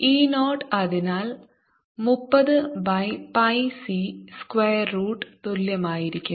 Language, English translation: Malayalam, e zero, therefore, is going to be equal to thirty over pi